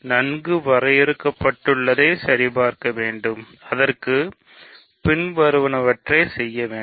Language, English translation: Tamil, So, to check well defined, I have to do the following